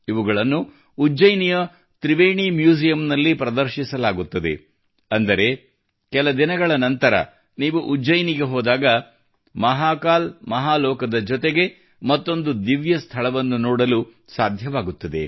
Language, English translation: Kannada, These will be displayed in Ujjain's Triveni Museum… after some time, when you visit Ujjain; you will be able to see another divine site along with Mahakal Mahalok